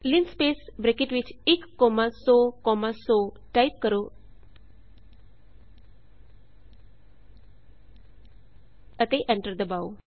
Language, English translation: Punjabi, Type linspace within brackets 1 comma 100 comma 100 and hit enter